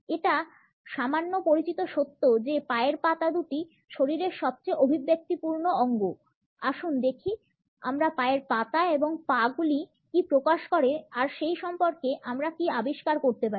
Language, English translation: Bengali, It is a little known fact that the feet are two of the most expressive parts of our bodies; let us see what we can discover about what our feet and legs communicate